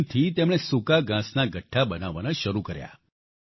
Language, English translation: Gujarati, With this machine, he began to make bundles of stubble